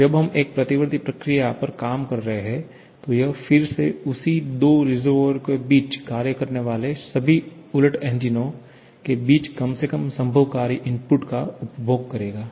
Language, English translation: Hindi, If a reversible reversed heat engine consumes work, we are working on a reversible process then it will consume the least possible work input among all the reversed engines operating between again the same two reservoirs